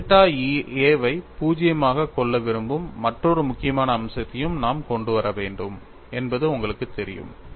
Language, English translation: Tamil, And you know we will also have to bring in another important aspect that we want to take the limit delta tends to 0